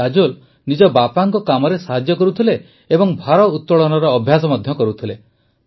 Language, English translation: Odia, Kajol would help her father and practice weight lifting as well